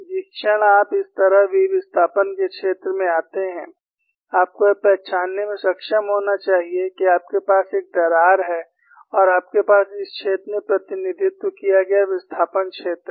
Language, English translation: Hindi, The moment you come across v displacement field like this, you should be able to recognize, that you have a crack and you have the displacement field represented in this fashion